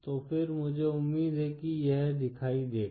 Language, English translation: Hindi, So then I hope this is visible